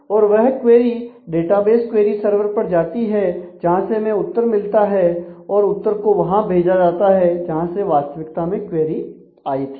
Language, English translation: Hindi, And so, that query goes to the database query server and you get the answer and that answer is placed where your original query was there